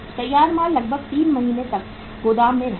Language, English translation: Hindi, Finished goods will stay in warehouse for about 3 months